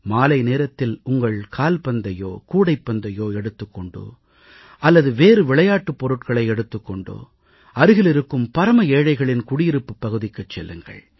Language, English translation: Tamil, In the evening, take your football or your volleyball or any other sports item and go to a colony of poor and lesser privileged people